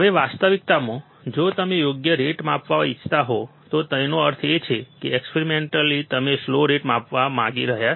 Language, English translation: Gujarati, Now, in reality if you want measure slew rate right; that means, experimentally we want to measure slew rate